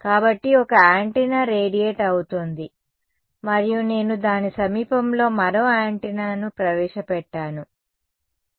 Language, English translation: Telugu, So let us say there is one antenna radiating and I have introduced one more antenna in its vicinity ok